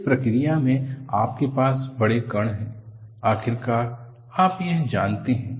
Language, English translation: Hindi, In the process, you have large particles; ultimately, you want this